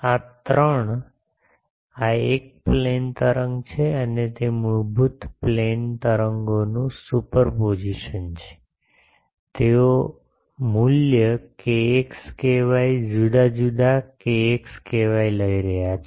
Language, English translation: Gujarati, This is, these three, this is a plane wave and it is basically superposition of plane waves, they are taking the value k x k y different k x k y